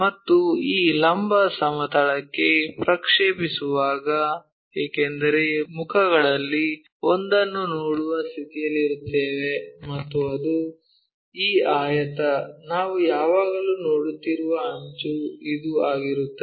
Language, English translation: Kannada, And, when we are projecting onto that vertical plane, because one of the face we will be in a position to see that and that is this rectangle, the edge we always be seeing so that will be this one